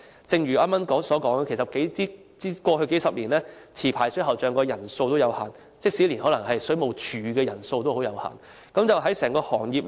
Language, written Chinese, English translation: Cantonese, 正如我剛才所說，過去數十年，持牌水喉匠人手有限，即使水務署的人手也可能十分有限。, As I have just said there was only a limited number of licensed plumbers over the past few decades . Perhaps the Water Supplies Department WSD is itself understaffed too